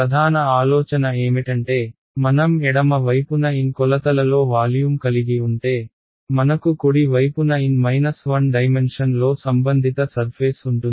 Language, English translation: Telugu, The main idea is that if I have a volume in N dimensions on the left hand side, I have a the corresponding surface in N 1 dimension on the right hand side